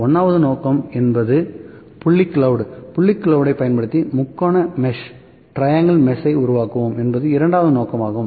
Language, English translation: Tamil, So, 1st point is the point cloud, using the point cloud, we created triangle mesh